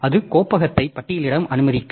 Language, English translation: Tamil, So, we can have this directory listing like that